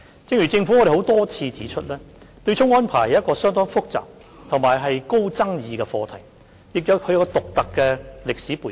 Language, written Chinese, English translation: Cantonese, 正如政府多次指出，對沖安排是一個相當複雜及極具爭議的課題，亦有其獨特的歷史背景。, As the Government has pointed out time and again the offsetting arrangement is an extremely complex and highly controversial issue that has a unique historical background